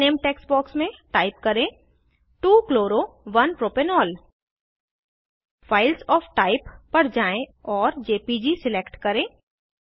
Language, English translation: Hindi, In the File Name text box, type 2 chloro 1 propanol Go to Files of Type and select jpg